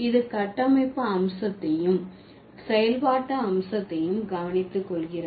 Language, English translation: Tamil, So, that takes care of both the structural aspect as well as the functional aspect